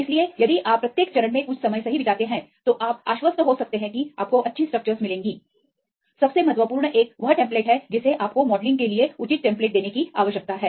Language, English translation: Hindi, So, if you spend some time right in each steps then you can be confident that you get the good structures the most important one is the template you need to give proper template for the modelling